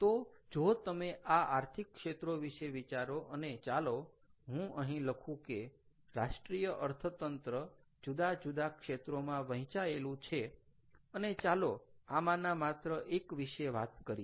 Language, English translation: Gujarati, all right, so if you think about these, these ah economic sectors, ok, and let us say i would write down national economy broken to several sectors and let us talk about only one of those now, let us take just a few of them